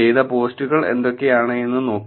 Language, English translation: Malayalam, Looking at what are the posts that was done